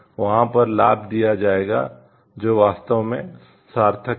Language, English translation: Hindi, So, it will be given that advantage over there which is truly meaningful